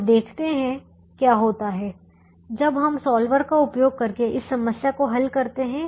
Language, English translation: Hindi, now let's look at this problem and see how, what happens when we use the solver